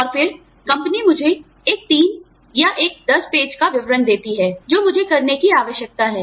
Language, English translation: Hindi, And then, the company gives me, a 3 page, or a 10 page, description of, what I need to do